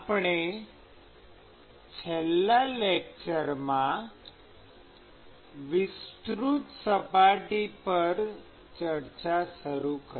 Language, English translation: Gujarati, So, we initiated discussion on extended surface in the last lecture